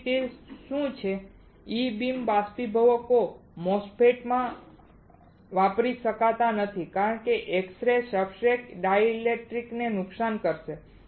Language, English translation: Gujarati, So, what is that E beam evaporators cannot be used in MOSFET because x rays will damage the substrates and dielectric